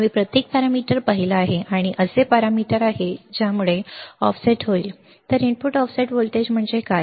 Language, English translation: Marathi, We have seen every parameter, and these are the parameters that will cause the offset, So, what is input offset voltage